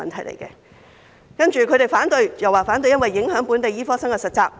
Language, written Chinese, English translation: Cantonese, 接着，醫生組織又提出反對，指會影響本地醫科生的實習機會。, Another opposing view from the doctors associations is that the Bill will affect the internship opportunities of local medical students